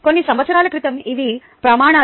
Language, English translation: Telugu, a few years ago these were the criteria